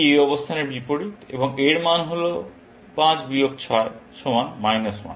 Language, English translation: Bengali, This is the opposite of this position, and the value of this is 5 minus 6 equal to minus 1